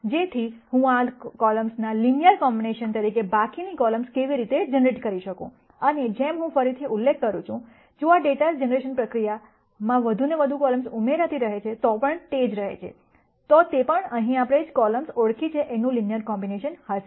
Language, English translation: Gujarati, So that I can generate the remaining columns as a linear combination of these columns, and as I have been mentioning again, if the data generation process remains the same as I add more and more columns to these, they will also be linear combinations of the columns that we identify here